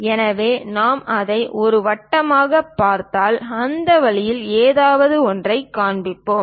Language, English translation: Tamil, So, if we are looking at it a circle, we will see something like in that way